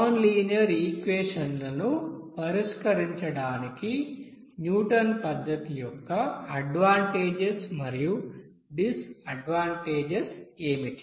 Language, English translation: Telugu, Now advantages and disadvantages of this Newton's method to solve this, you know nonlinear equation like this